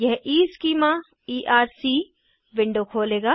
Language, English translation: Hindi, This will open the EEschema Erc window